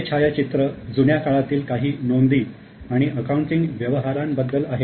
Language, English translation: Marathi, This is a photograph of some records of how the accounting was made in the old period